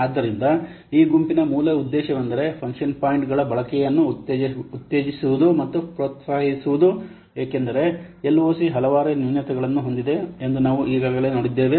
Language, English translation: Kannada, So the basic purpose of this group was to promote and encourage use of function points because we have already seen LOC has several drawbacks